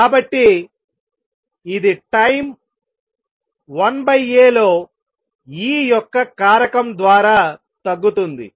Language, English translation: Telugu, So, it decreases by a factor of E in time 1 over A